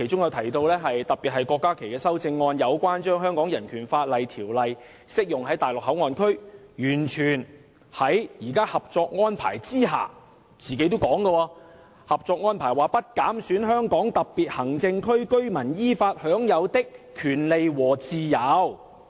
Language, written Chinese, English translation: Cantonese, 我在發言中曾特別提到郭家麒議員有關《香港人權法案條例》適用於內地口岸區的修正案，完全是體現《合作安排》所指"不減損香港特別行政區居民依法享有的權利和自由"。, In my previous speech I have highlighted the amendment proposed by Dr KWOK Ka - ki which calls for the application of the Hong Kong Bill of Rights Ordinance to MPA . This is a full realization of the principle laid down in the Co - operation Arrangement that the establishment of MPA does not undermine the rights and freedoms enjoyed by the residents of the Hong Kong Special Administrative Region in accordance with law